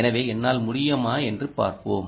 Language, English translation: Tamil, so let me see if i can